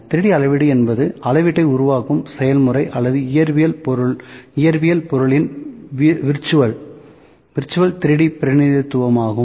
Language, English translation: Tamil, 3D measurement is a process of creating measurement or virtual 3D representation of a physical object